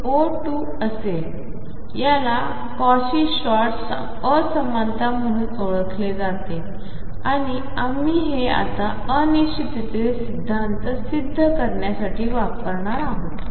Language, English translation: Marathi, This is known as the Cauchy Schwartz inequality and we are going to use this now to prove the uncertainty principle